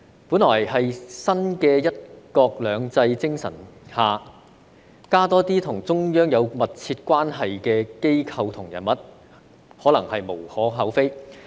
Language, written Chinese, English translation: Cantonese, 本來在新的"一國兩制"精神下，增加多些與中央有密切關係的機構和人物，可能是無可厚非。, Under the spirit of the new one country two systems it is supposedly hard to criticize the increase in the number of organizations and individuals closely related to the Central Authorities